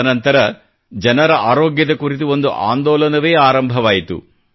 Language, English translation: Kannada, And after that, an entire movement centred on public health got started